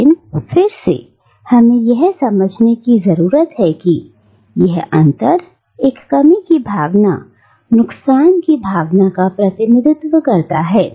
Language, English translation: Hindi, But nevertheless, we also need to understand that this marginality this interstices represents a gap, a sense of lack, a sense of loss